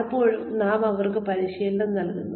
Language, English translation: Malayalam, Many times, we give them training